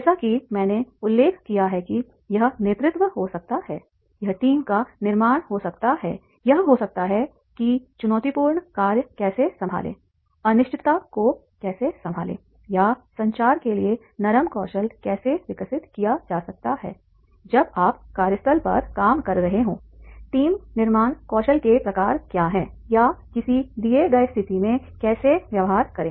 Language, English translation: Hindi, It can be as I mentioned leadership, it can be the team building, it can be the how to handle the challenging task, how to handle the uncertainty or there can be the soft skills can be developed, that is the communication, that is how is the communication when you are working at the workplace and what type of the team building skills are there or how to behave in a given situation